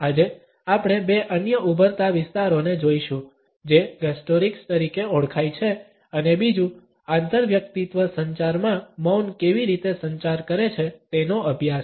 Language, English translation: Gujarati, Today, we would look at two other emerging areas which are known as Gustorics and secondly, the study of how Silence communicates in interpersonal communication